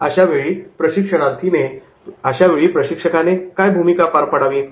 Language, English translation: Marathi, What will be the role of the trainer